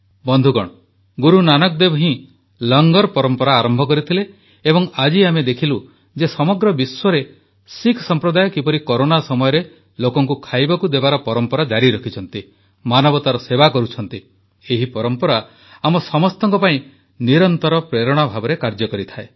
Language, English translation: Odia, it was Guru Nanak Dev ji who started the tradition of Langar and we saw how the Sikh community all over the world continued the tradition of feeding people during this period of Corona , served humanity this tradition always keeps inspiring us